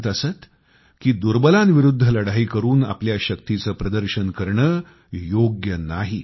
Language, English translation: Marathi, He used to preach that strength cannot be demonstrated by fighting against the weaker sections